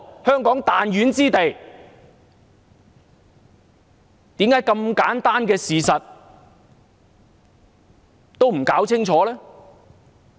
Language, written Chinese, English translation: Cantonese, 香港只是個彈丸之地，為何這麼簡單的事實都搞不清楚呢？, Why can they not understand the simple fact that Hong Kong is only a small city?